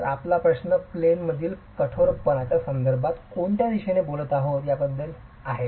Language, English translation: Marathi, So your question is about the, in which direction are we talking about in terms of the in plane stiffness